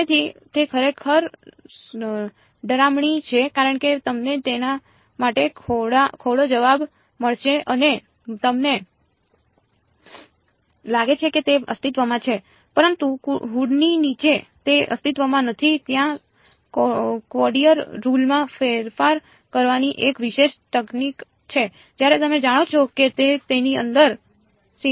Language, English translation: Gujarati, So, that is actually even scarier because you will get some answer for it and you think it exists, but under underneath the hood it does not exist there is a special technique of modifying quadrature rules when you know that there is a singularity inside it is called singularity extraction ok